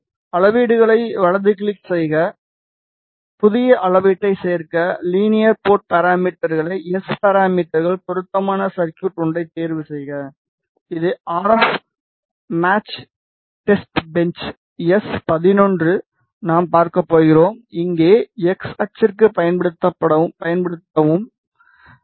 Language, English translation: Tamil, Create this is the smith chart to add measurements right click, add new measurement, go to linear port parameters, S parameters, choose appropriate circuit which is RF match testbench s 11 we are going to see and here select use for x axis, ok